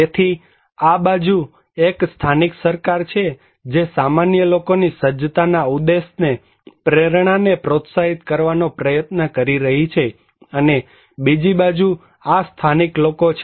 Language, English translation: Gujarati, So, one this side is local government who is trying to promote these preparedness intention, motivations of the common people and other side is the local people